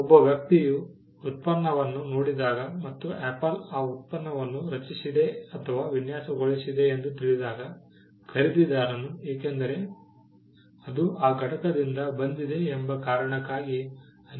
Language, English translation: Kannada, When a person looks at a product and sees that Apple has created or designed that product then, the buyer would attribute so many things because, it has come from that entity